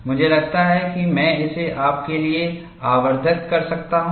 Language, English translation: Hindi, I think I can magnify it for you